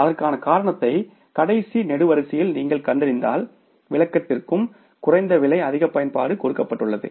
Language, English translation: Tamil, When we found out the reasons for that in the last column the explanation is also given lower prices but higher usage